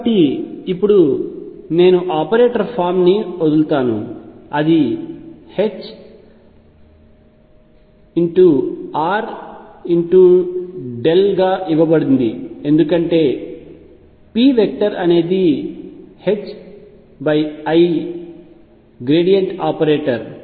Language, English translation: Telugu, So, , I will drop now operator form it is given as h cross over i r cross the gradient operator because p operator is h cross over i times the variant